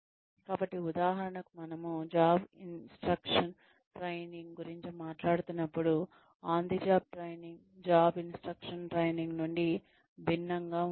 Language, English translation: Telugu, So for example when we are talking about, job instruction training, on the job training is different from, job instruction training